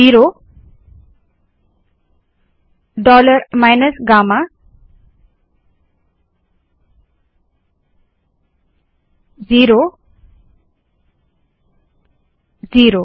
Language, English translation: Hindi, Zero, dollar minus gamma, zero, zero